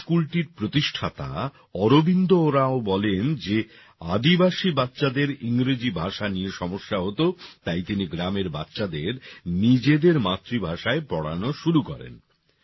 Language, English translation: Bengali, Arvind Oraon, who started this school, says that the tribal children had difficulty in English language, so he started teaching the village children in their mother tongue